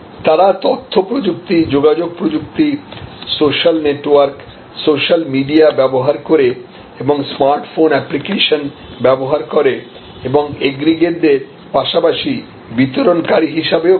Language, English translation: Bengali, They use information technology, communication technology, social networks, social media and they use a smart phone apps and they act as aggregators as well as deliverers